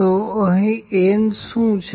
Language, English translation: Gujarati, So, what is n here